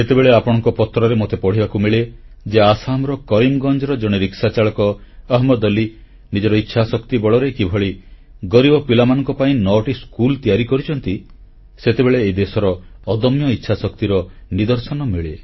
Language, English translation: Odia, When I get to read in your letters how a rickshaw puller from Karimgunj in Assam, Ahmed Ali, has built nine schools for underprivileged children, I witness firsthand the indomitable willpower this country possesses